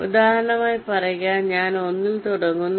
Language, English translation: Malayalam, say, for example, i start with one